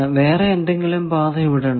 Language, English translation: Malayalam, Is there any other path